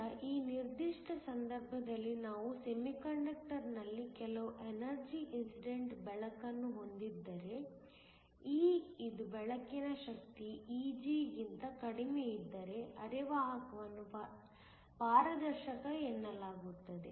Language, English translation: Kannada, So, in this particular case if you have light of certain energy incident on the semiconductor, if E which is the energy of the light is less than E g then the semiconductor is set to be transparent